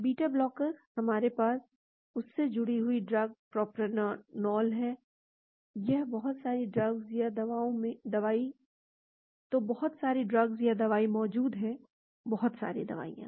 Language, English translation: Hindi, Beta blocker; we have the drug propranolol bound to that , so a lot of drugs are there; lot of drugs